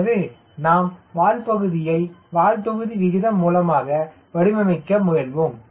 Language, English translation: Tamil, so we will also see how to design a tail from tail volume perspective, right